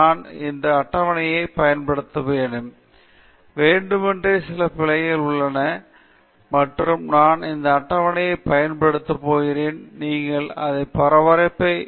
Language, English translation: Tamil, I want to use this table; deliberately it has some errors, and I am going to use this table to highlight that for you okay